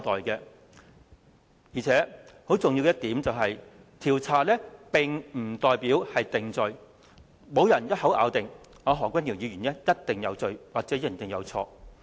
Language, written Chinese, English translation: Cantonese, 況且，更重要的一點是，調查並不代表定罪，沒有人一口咬定何君堯議員一定有罪或一定有錯。, More importantly investigation will not necessarily lead to conviction since no one has ever come up with the conclusion that Dr HO is guilty or wrong